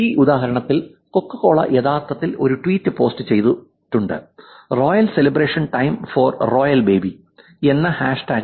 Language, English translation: Malayalam, In this example where CocoCola has actually posted tweet which says, ‘Time for a Royal Celebration hashtag Royalbaby’